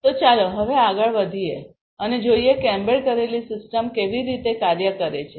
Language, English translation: Gujarati, So, now let us move forward and see how an embedded system works